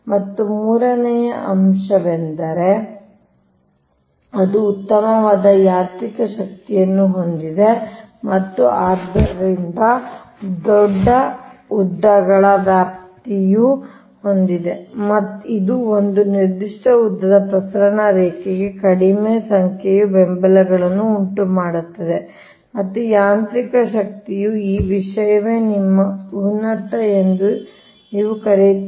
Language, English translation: Kannada, and third point is, and the third point is, it has superior mechanical strength and hence span of larger lengths, which result in smaller number of supports for a particular length of transmission line and is mechanism mechanical strength is a or this thing, what you call, ah, your superior, very strong